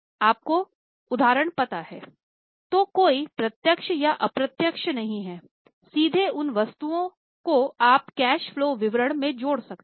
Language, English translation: Hindi, So, though there is no direct or indirect, directly those items you can add in the cash flow statement